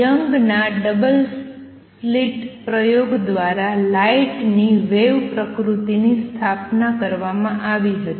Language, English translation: Gujarati, The wave nature of light was established by Young’s double slit experiment